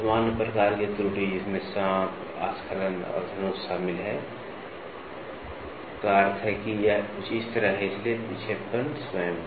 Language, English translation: Hindi, Common types of error which includes snaking, lobbing and bow, bow means it is something like this, so the deflection itself